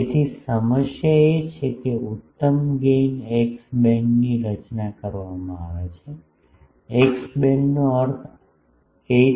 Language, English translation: Gujarati, So, the problem is design an optimum gain x band, x band means 8